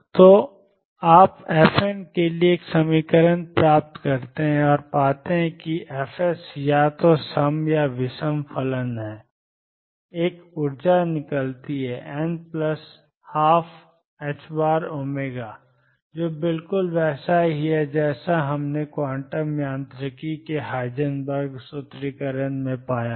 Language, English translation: Hindi, So, you derive an equation for f n and find fs to be either even or odd functions an energies come out be n plus one half h cross omega which is exactly the same that we found in Heisenberg formulation of quantum mechanics